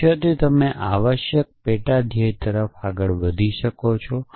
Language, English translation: Gujarati, So, from goals you are moving to sub goals essentially